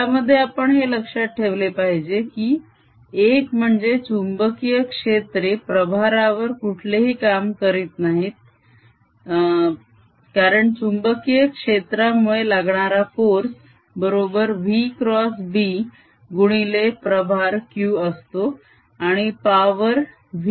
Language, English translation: Marathi, in this we must keep in mind that number one, magnetic field, does no work on charges, because the force due to magnetic field is v cross b times the charge q and the power, which is v dot f, therefore, is zero